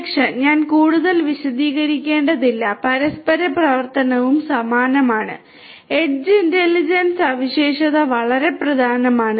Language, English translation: Malayalam, Security, I do not need to elaborate further, interoperability also the same, edge intelligence feature is very important